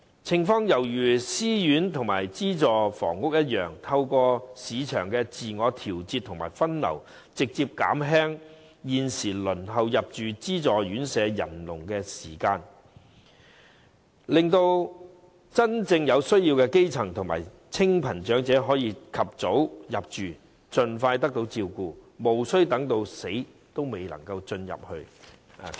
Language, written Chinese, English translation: Cantonese, 情況猶如私樓和資助房屋一樣，透過市場自我調節和分流，直接縮減現時輪候入住資助院舍的人龍和時間，令到真正有需要的基層和清貧長者可以及早入住，盡快得到照顧，無需等到死仍未能入住院舍。, This is comparable to the case of private housing and public housing . Through the self - adjustment and diversion of the market the queue and waiting time for allocation of a subsidized place will be cut short directly so that grass - roots elderly people and elderly in poverty with genuine need may settle in a subsidized home and be taken care off as soon as possible thus being spared waiting in vain till they die